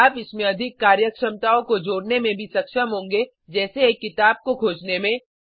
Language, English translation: Hindi, You will also be able to add more functionalities to it, like searching for a book